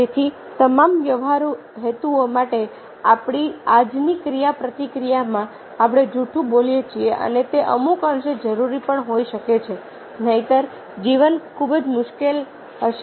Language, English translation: Gujarati, so for all practical purposes, in our day to day interaction, we do tell a lie and that might be some extent required also, otherwise lie will be very difficult